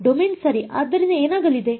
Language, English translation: Kannada, Domain right so what is going to happen